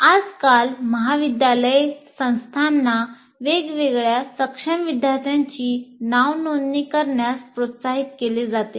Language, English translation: Marathi, And these days colleges or institutions are encouraged to enroll differently able students